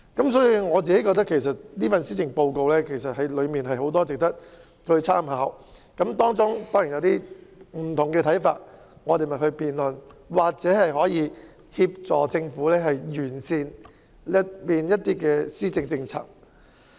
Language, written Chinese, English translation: Cantonese, 因此，我認為這份施政報告確有很多值得參考之處，大家固然會有不同的看法，但大可以透過辯論，協助政府完善有關的政策。, Therefore I think many parts of the Policy Address are worth considering; though we all have different views we can help the Government to improve the relevant policies through debate